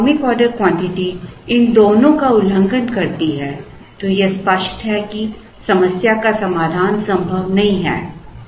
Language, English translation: Hindi, If the economic order quantity violates both these, then it is obvious that the problem does not have a feasible solution at all